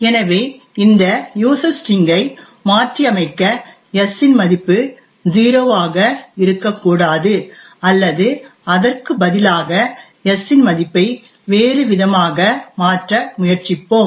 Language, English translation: Tamil, So we are going to modify this user string so that the value of s is not 0 or rather we will try to change the value of s to something different